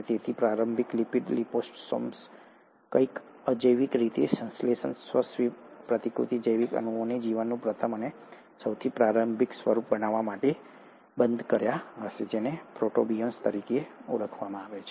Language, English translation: Gujarati, So these initial lipid liposomes would have somehow enclosed these abiotically synthesized self replicating biological molecules to form the first and the most earliest form of life, which is what you call as the protobionts